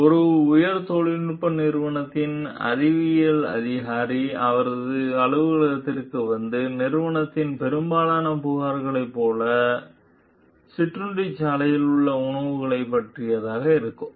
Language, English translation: Tamil, So, the ethics officer of a high tech company like to like most of the company complaints that came to her office were about the food in the cafeteria